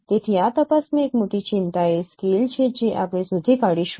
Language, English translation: Gujarati, So one of the major concern in this detection is scale that we will find out